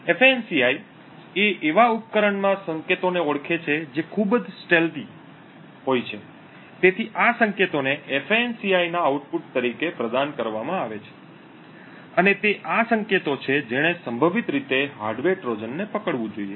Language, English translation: Gujarati, FANCI identifies signals in a device which are highly stealthy, so these signals are provided as the output of FANCI and it is these signals which should potentially hold a hardware Trojan